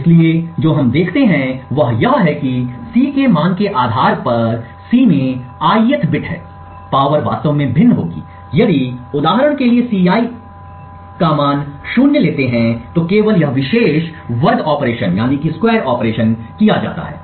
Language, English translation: Hindi, So, what we see is that depending on the value of Ci, that is the ith bit in C, the power would actually vary, if for instance the value of Ci = 0, then only this particular square operation is performed